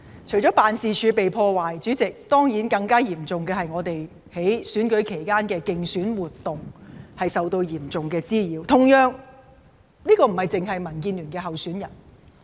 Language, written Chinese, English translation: Cantonese, 除了辦事處被破壞外，主席，更加嚴重的事情，當然就是我們在選舉期間的競選活動受到嚴重滋擾，而同樣地，這亦並非單單發生在民建聯的候選人身上。, Apart from the vandalism against offices President a more serious aspect is the serious disruption of our campaign activities during the electioneering period . Similarly not only DAB candidates are affected